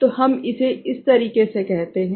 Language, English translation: Hindi, So, we term it in this manner